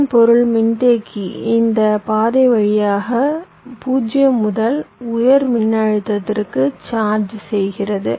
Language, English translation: Tamil, this means the capacitor is charging from zero to high voltage via this path